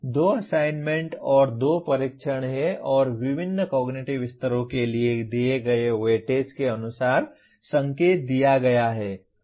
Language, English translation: Hindi, There are two assignments and two tests and the weightage as given for various cognitive levels is as indicated